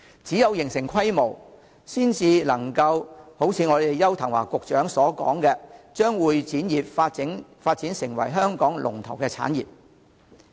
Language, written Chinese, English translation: Cantonese, 只有形成規模，才能夠如邱騰華局長所說，把會展業發展成為香港的龍頭產業。, Only when there is a large scale of facilities can as indicated by Secretary Edward YAU the convention and exhibition industry be developed into a leading industry of Hong Kong